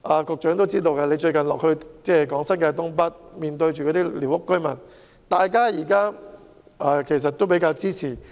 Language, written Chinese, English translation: Cantonese, 局長近日落區向寮屋居民講解新界東北計劃時，也知道大家都很支持。, The Secretary has recently visited the districts to explain the North East New Territories Development Plan to the squatter residents and I know that the residents are very supportive